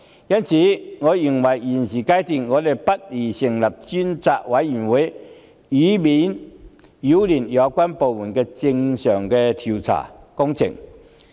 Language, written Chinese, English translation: Cantonese, 因此，我認為立法會現階段不宜成立專責委員會，以免擾亂相關部門的正常調查工作。, Hence I hold that the Legislative Council should not appoint a select committee at this stage so as to avoid causing disruption to the official investigation by the authorities